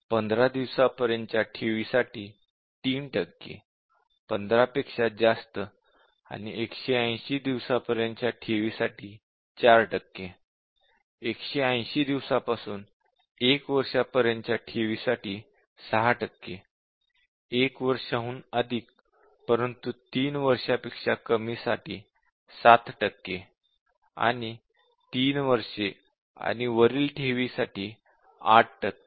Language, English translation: Marathi, So, 3 percent for deposit up to 15 days, 4 percent for deposit over 15 and up to 180, 6 percent for deposit over 180 days to 1 year, 7 percent for 1 year but less than 3 year, and 8 percent for deposit 3 years and above